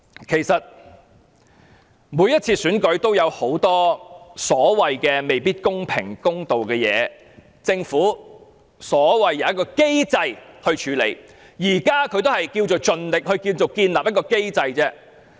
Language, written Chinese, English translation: Cantonese, 其實，每次選舉也有很多未必公平和公道的地方，政府說有一個機制可處理，其實現在也只是所謂盡力建立一個機制而已。, Actually the election may not necessarily be fair and impartial in many respects . The Government contends that a mechanism is in place to deal with all this . But actually it is only trying to reassure us that such a mechanism is available